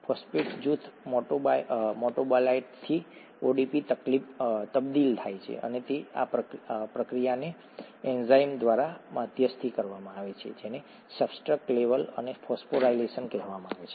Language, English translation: Gujarati, The phosphate group is transferred from a metabolite to ADP and is, the process is mediated by an enzyme, that’s what is called substrate level phosphorylation